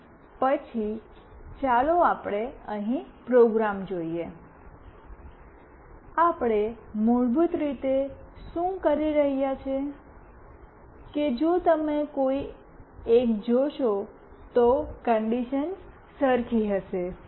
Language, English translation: Gujarati, And then let us see the program here, what we are doing basically that the conditions would be pretty same, if you see one